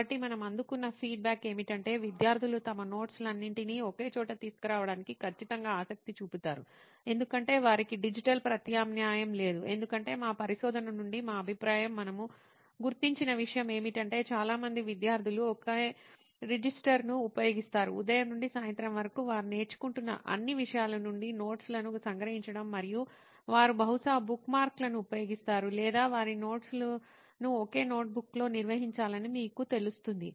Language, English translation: Telugu, So the feedback that we received is that students are certainly interested to bring all their notes into one location essentially, because they do not have a digital alternative our feedback from our research what we have identified is that lot of students are using a single register to capture notes from all the subjects that they are learning from say morning till evening and they probably use bookmarks or posts it to you know organize their notes within that single notebook